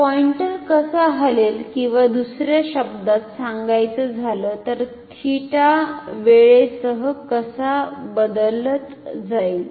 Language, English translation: Marathi, So, how will the pointer move or in other words, how will theta change with time